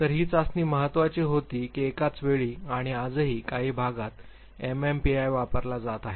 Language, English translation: Marathi, So, important was this test that one point in time and even today in certain areas we would find MMPI being used